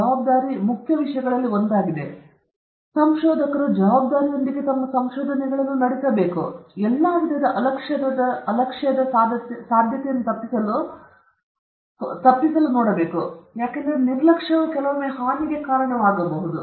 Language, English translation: Kannada, Responsibility is one of the important things and researcher should conduct his research with responsibility, so that avoid all kinds of possibility of negligence, because sometimes negligence can lead to harm